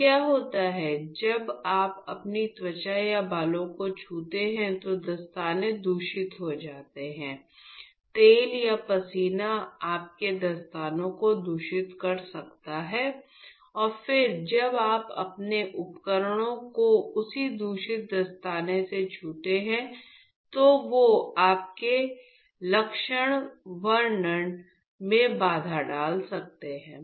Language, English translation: Hindi, So, what happens is the gloves while you touch your skin or hair there could be contamination, there could be oil or sweat which could contaminate your gloves and then when you are handling your devices with the same contaminated gloves, that could hamper your the characterization or the working of your device